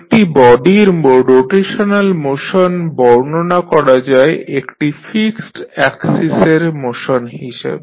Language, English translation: Bengali, So, the rotational motion of a body can be defined as motion about a fixed axis